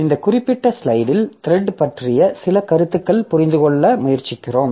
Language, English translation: Tamil, So, in this particular slide we just try to understand some concepts about thread